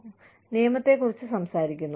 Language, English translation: Malayalam, We talk about the law